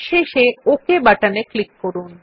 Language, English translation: Bengali, And then click on the OK button